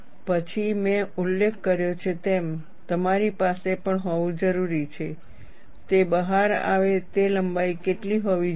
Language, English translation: Gujarati, Then, as I mentioned, you also need to have, what should be the length that it comes out